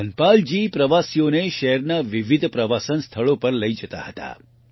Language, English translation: Gujarati, Dhanpal ji used to take tourists to various tourist places of the city